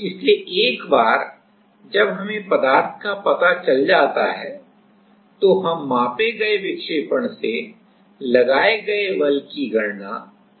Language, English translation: Hindi, So, once we know that then we can easily calculate the applied force from the measured deflection